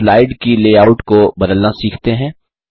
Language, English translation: Hindi, Let us learn to change the layout of the slide What are Layouts